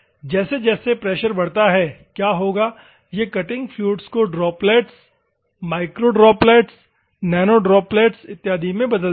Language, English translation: Hindi, As the pressure increases what will happen, it will shear the cutting fluid into droplets, microdroplets, nanodroplets, and other things